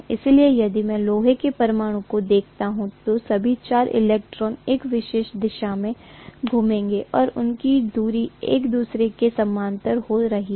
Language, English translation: Hindi, So if I look at the iron atom, all the 4 electrons will spin in a particular direction and their axis are being parallel to each other